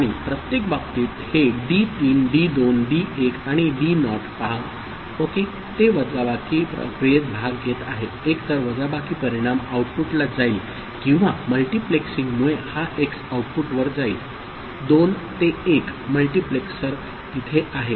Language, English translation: Marathi, And in every case see this d3 d2 d1 and d naught ok, that is participating in the subtraction process either the subtraction result is going to the output or this x is going to the output because of the multiplexing 2 to 1 multiplexer it is there